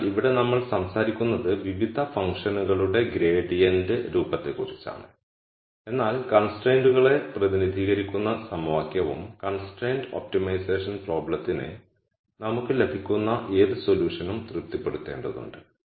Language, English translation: Malayalam, So, here we are only talking about the gradient form of the various functions, but the equation which repre sents the constraints also needs to be satis ed by any solution that we get for the constrained optimization problem